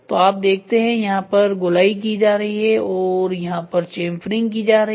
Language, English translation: Hindi, So, you see rounding happening here rounding and then chamfer happening here